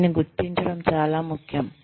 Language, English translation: Telugu, It is very important to identify this